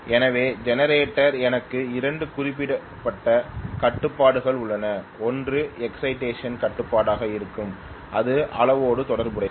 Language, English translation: Tamil, So I have two specific controls in the generator, one will be excitation control which will play around with the magnitude